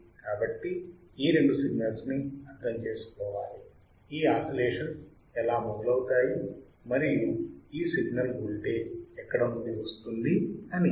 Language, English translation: Telugu, So, these two signals we must understand how the how the oscillation starts and from where the signal is from the where the voltage is coming